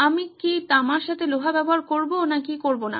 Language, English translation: Bengali, Do I use iron with copper or do I not